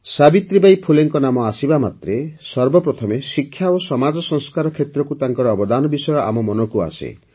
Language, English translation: Odia, As soon as the name of Savitribai Phule ji is mentioned, the first thing that strikes us is her contribution in the field of education and social reform